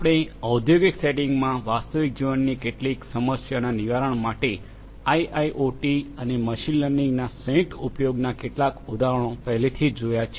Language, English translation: Gujarati, And we have also seen a few examples of the use of IIoT and machine learning combined for addressing some machine some real life problems in industrial settings we have already seen that